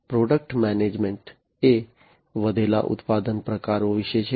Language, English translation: Gujarati, Product management, which is about increased product types